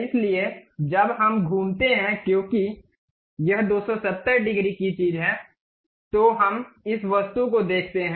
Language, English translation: Hindi, So, when we revolve because it is 270 degrees thing we see this object